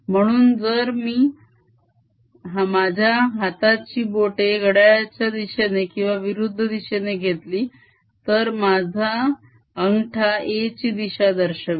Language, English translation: Marathi, so if i take my fingers around, l clockwise or counterclockwise thumb gives me the direction of a